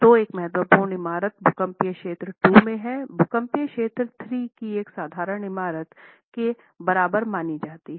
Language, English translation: Hindi, So, an important building in seismic zone 2 is considered on par with an ordinary building in seismic zone 3, right